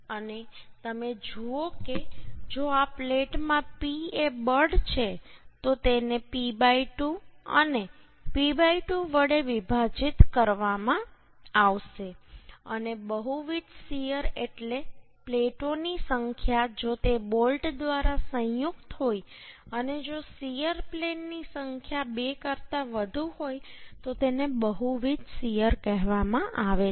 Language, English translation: Gujarati, And you see, if the P is the force in this plate, then it will be divided by P by 2 and P by 2, and multiple shear means number of plates if it is joint by the bolt and if number of shear plates is two, then it is called multiple shear